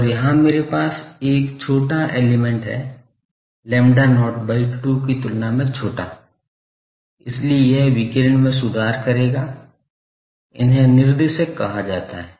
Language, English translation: Hindi, And here I have a shorter element, shorter than lambda not by 2, so this one will improve the radiation, these are called directors